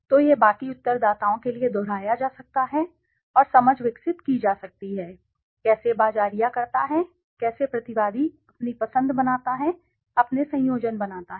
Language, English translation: Hindi, So this can be repeated for the rest of the respondents and understanding can be developed, how does the marketer, how does the respondent makes his choice, makes his combinations